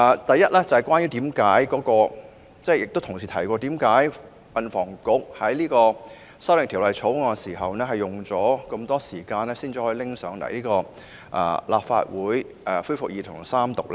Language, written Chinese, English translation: Cantonese, 第一，正如有議員剛才質疑，為何運輸及房屋局就《條例草案》所提的修訂需花上長時間，才能夠提交立法會恢復二讀及三讀呢？, First as the Member has just queried why did it take a long time for the Transport and Housing Bureau to submit the proposed amendments in the Bill to the Legislative Council for resumption of the Second Reading debate and the Third Reading?